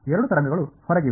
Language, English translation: Kannada, Are both waves outward